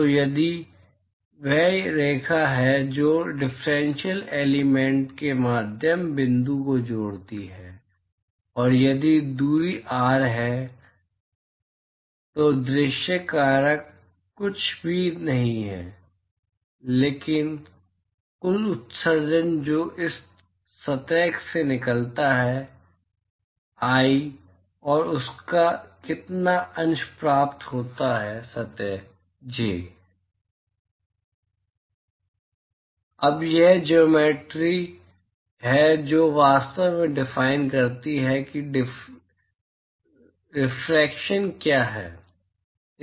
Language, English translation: Hindi, So, if that is the line that connects the midpoint of the differential elements, and if the distance is R, so the view factor is nothing but whatever is the total emission that comes out of this surface i and what fraction of that is received by surface j